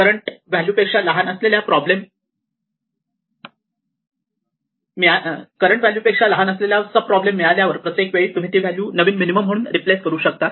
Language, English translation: Marathi, So every time, we find a sub problem which is smaller than the current value that we have seen then we replace that value as the new minimum, so that is all that is important here